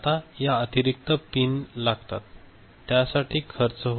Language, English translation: Marathi, Now, this additional pins that requires higher cost